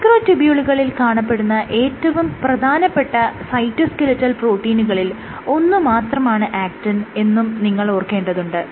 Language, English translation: Malayalam, So, actin is only one of the cytoskeletal proteins you also have microtubules, one of the most important things which